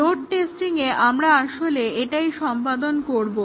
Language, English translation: Bengali, So, in load testing, we will do that actually